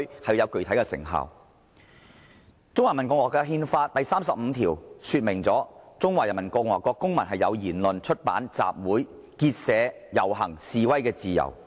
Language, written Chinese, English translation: Cantonese, 《中華人民共和國憲法》第三十五條訂明："中華人民共和國公民有言論、出版、集會、結社、游行、示威的自由。, Article 35 of the Constitution of the Peoples Republic of China stipulates that Citizens of the Peoples Republic of China enjoy freedom of speech of the press of assembly of association of procession and of demonstration